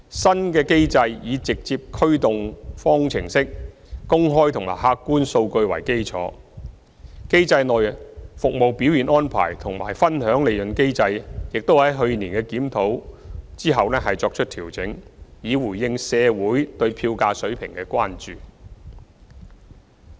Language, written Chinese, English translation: Cantonese, 新機制以直接驅動方程式、公開和客觀數據為基礎，機制內"服務表現安排"及"分享利潤機制"，亦在去年檢討後作出調整，以回應社會對票價水平的關注。, The new mechanism is based on public and objective data and a direct - drive formula . The Service Performance Arrangement and the Profit Sharing Mechanism in the mechanism were also adjusted after the review last year in response to the communitys concern about fare levels